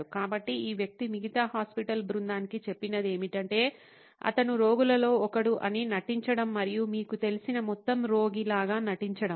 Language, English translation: Telugu, So, what this person told the rest of the hospital team is to pretend that he is one of the patients and just pretend the whole thing you know fake the whole thing as if he were one of the patient